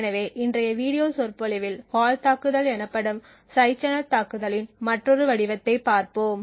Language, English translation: Tamil, So, in today’s video lecture we will be looking at another form of side channel attack known as a fault attack